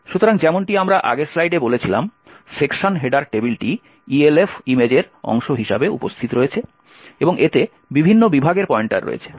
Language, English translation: Bengali, So, as we said in the previous slide the section header table is present as part of the Elf image and it contains pointers to the various sections